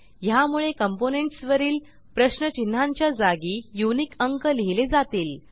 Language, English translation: Marathi, Notice that the question marks on the components are replaced with unique numbers